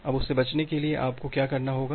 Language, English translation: Hindi, Now to avoid that; what you have to do